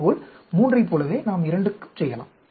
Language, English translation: Tamil, Similarly, we can do for, just like 3, we can do for 2